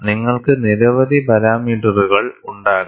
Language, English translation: Malayalam, You could have many parameters